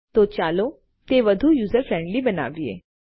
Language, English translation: Gujarati, Okay so lets make it more user friendly for you and me